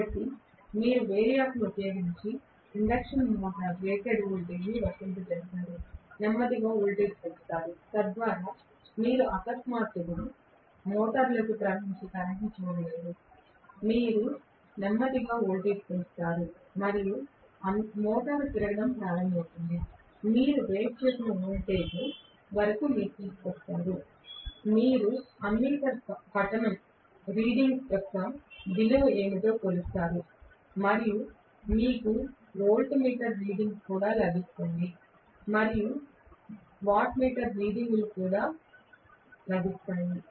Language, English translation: Telugu, So, you will apply rated voltage to the induction motor by using a variac, slowly increase the voltage so you will not see a jerk of current suddenly flowing into the motor, so you will slowly increase the voltage and the motor will start rotating, you will bring it up to the rated voltage you will measure what is the value of ammeter reading, and you will also get the voltmeter reading and you will also get the wattmeter readings